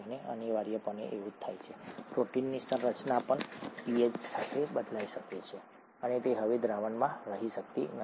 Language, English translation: Gujarati, And that is essentially what happens, protein conformation may also change with pH, and it can no longer be in solution